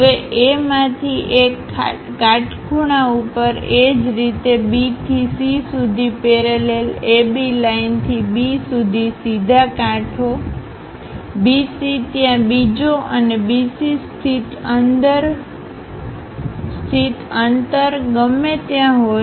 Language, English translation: Gujarati, Parallel to AB line with a distance of B to C whatever the distance BC there and another BC located